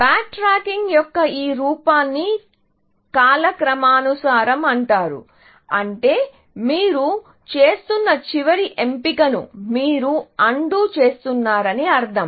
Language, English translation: Telugu, This form of backtracking is called chronological, which mean that you undoing the last choice that you are making